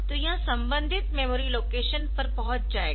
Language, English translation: Hindi, So, it will be accessing the corresponding memory location